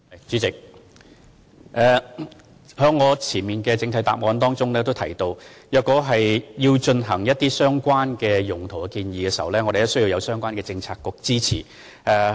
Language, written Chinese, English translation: Cantonese, 主席，正如我在主體答覆已提到，如果有任何使用空置校舍用地的建議，須先獲得相關政策局的支持。, President as I mentioned in the main reply any proposal for the use of VSP sites must first obtain the support of the relevant bureau